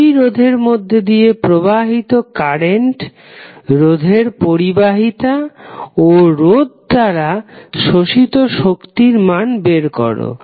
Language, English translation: Bengali, How you will calculate the current through resistor and power absorb by the resistor